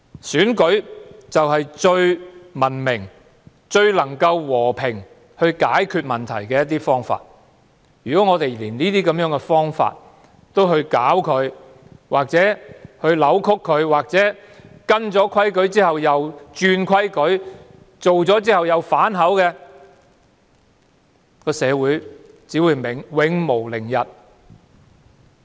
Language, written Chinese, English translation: Cantonese, 選舉是最文明和最和平的解決問題方法，如果連這種方法也遭人搞亂或扭曲，訂下規矩後又輕率更改，反口覆舌的話，社會只會永無寧日。, Election is the most civilized and peaceful way to resolve problems . If even this way is messed up or distorted the rules laid down are recklessly tampered and the promises are easily broken there will never be days of peace in society